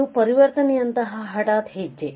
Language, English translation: Kannada, It is a sudden step like transition